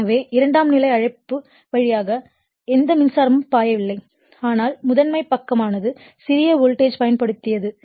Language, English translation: Tamil, So, no current is flowing through the your what you call secondary, but primary side you have applied your small voltage right